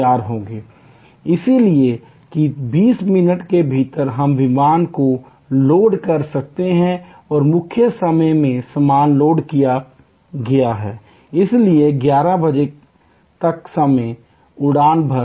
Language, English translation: Hindi, So, that within 20 minutes we can load the aircraft and in the main time luggage’s have been loaded, so at 11'o clock the flight can take off